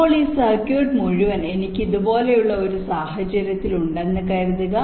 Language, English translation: Malayalam, now, suppose this entire circuit i have in a scenario like this